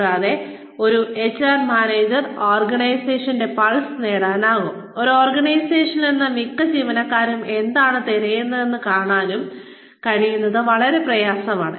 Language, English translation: Malayalam, And, it is very important for an HR manager, to get a pulse of the organization, and to see, what most employees are looking for, from that organization